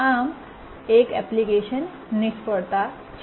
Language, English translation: Gujarati, So there is application failure